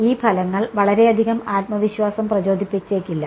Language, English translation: Malayalam, These results may not inspire too much confidence right